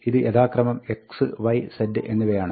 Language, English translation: Malayalam, This is x, this is y, this is z